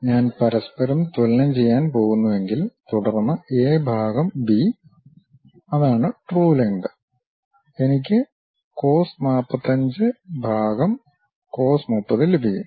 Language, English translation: Malayalam, If I am going to equate each other; then B by A by B which is true length; I will get cos 45 by cos 30